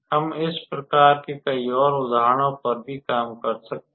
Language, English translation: Hindi, And we can also work out several examples of this type